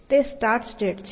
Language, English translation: Gujarati, That is my starting state